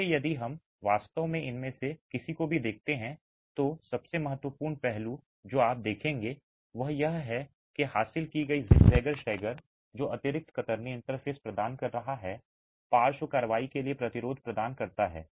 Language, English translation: Hindi, So, if you actually look at any of these, the most important aspect that you will notice is this zigzag stagger that is achieved which is providing additional shear interfaces providing resistance for lateral action